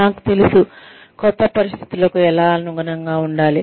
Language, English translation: Telugu, I know, how to adapt to new situations